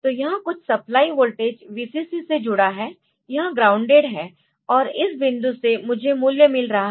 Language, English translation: Hindi, So, this is connected to some supply voltage Vcc, this is grounded, and from this point I am getting the value